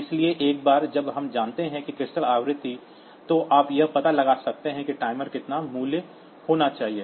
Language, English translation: Hindi, So, once we know that crystal frequency, so you can find out like how to how much value that timer should have